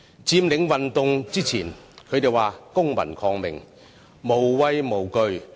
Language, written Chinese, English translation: Cantonese, 在佔領運動前，他們說公民抗命，無畏無懼。, Before the occupation movement they claimed that they have no fear and no recoil for engaging in civil disobedience